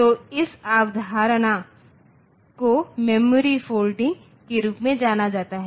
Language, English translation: Hindi, So, this concept is known as the memory folding